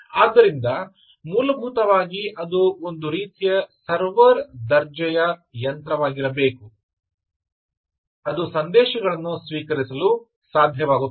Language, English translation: Kannada, it has to be a sort of a server grade machine essentially, which is able to receive messages